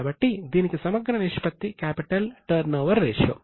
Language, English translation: Telugu, So, a comprehensive ratio for this is capital turnover ratio